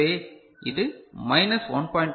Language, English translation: Tamil, So, it will go to minus 1